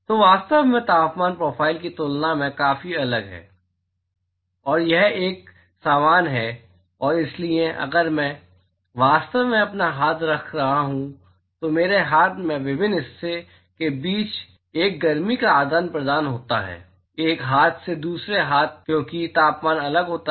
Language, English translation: Hindi, So, really the temperature profile is quite different than and it is uniform and so, if I am actually putting my hand there is a heat exchange between different part of my hand, one hand to the other hand because the temperature is different